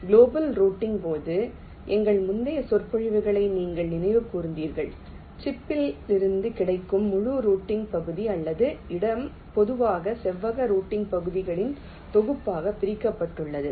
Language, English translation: Tamil, during global routing, as i said you recall our earlier lectures the entire routing region, or space that is available on the chip, that is typically partitioned into a set of rectangular routing regions